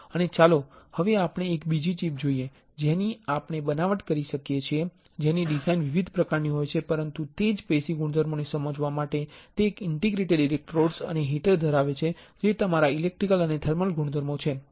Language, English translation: Gujarati, And, now let us see another chip that we can fabricate which has a different kind of design, but it has an interdigitated electrodes and heater for understanding the same tissue properties which are your electrical and thermal properties ok